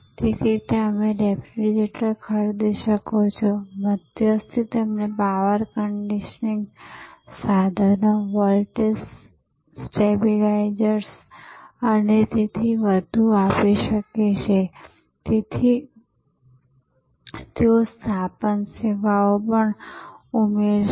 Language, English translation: Gujarati, So, you could buy the refrigerator, the intermediary could give you some power conditioning equipment, voltage stabilisers and so on, they would also add installation service etc